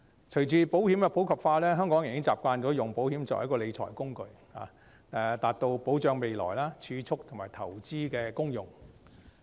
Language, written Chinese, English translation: Cantonese, 隨着保險的普及化，香港人已經習慣用保險作為理財工具，達到保障未來、儲蓄及投資的功用。, With the popularization of insurance Hong Kong people have become accustomed to using insurance as a financial tool for the purposes of future security saving and investment